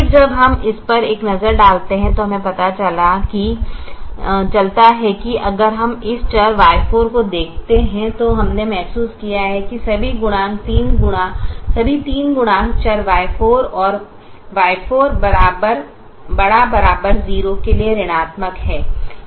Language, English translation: Hindi, then when we take a look at this, we realize now that if we look at this variable y four, we realized that all three coefficients are negative for the variable y four, and y four is greater than or equal to zero